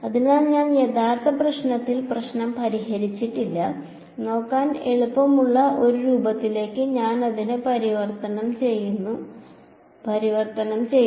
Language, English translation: Malayalam, So, I have not actually solved the problem, I have just converted it into a form that is easier to look at